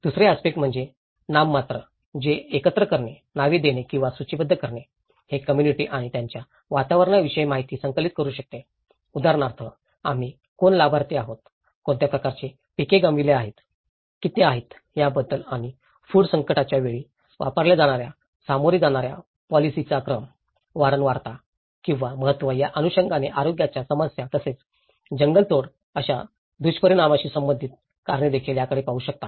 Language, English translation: Marathi, The second aspect is a nominal which is the collecting, naming or listing, it can collect information about communities and their environment like for instance, we are talking about who are the beneficiaries, who are the what kind of crops they have lost, how much and it can also look at the sequence in the coping strategies used in times of food crisis, health problems in order of frequency or importance and also the associated reasons for it so such consequences of deforestation